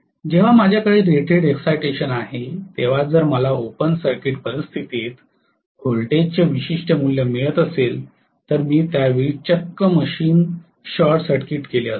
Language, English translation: Marathi, When I am having rated excitation, if I am getting a particular value of voltage under open circuit condition had I short circuited the machine at that point itself